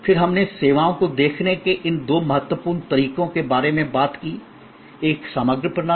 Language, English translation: Hindi, We then talked about these two important ways of looking at services, a composite system